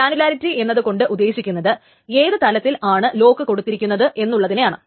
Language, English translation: Malayalam, So the granularity essentially means at which level the lock is applied